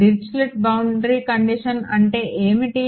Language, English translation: Telugu, What is Dirichlet boundary condition